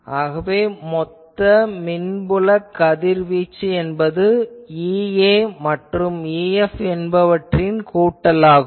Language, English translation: Tamil, So, total electric field radiated will be E A plus E F